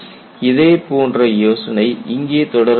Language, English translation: Tamil, Similar idea is extended here